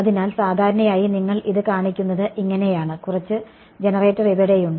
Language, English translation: Malayalam, So, this is typically how you will show it, some generator is over here